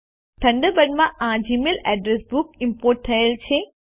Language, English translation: Gujarati, We have imported the Gmail address book to Thunderbird